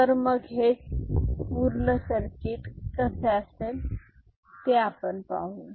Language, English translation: Marathi, But, the how the overall circuit will look like let us see